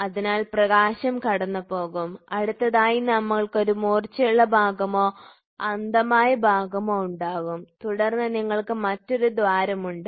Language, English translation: Malayalam, So, you will have a light passing through and next you will have a blunt portion or a blind portion, then you will have a next hole which comes through